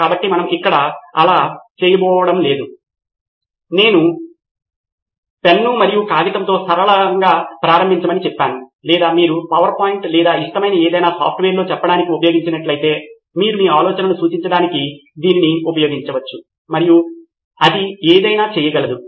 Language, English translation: Telugu, So we are not going to do that here but I would say start simple with a pen and paper or if you are used to say on a PowerPoint or some any of your favorite software, you can use that just to represent your idea and it could be for anything